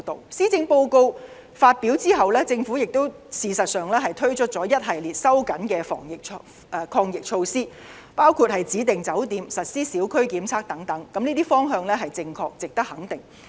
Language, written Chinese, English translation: Cantonese, 事實上，施政報告發表後，政府推出一系列收緊的防疫抗疫措施，包括指定酒店，實施小區檢測等，這些方向是正確值得肯定。, As a matter of fact after publicizing the Policy Address the Government has been tightening a host of anti - pandemic measures including designating quarantine hotels and conducting tests in micro - districts . All of these are positive moves and deserve our approval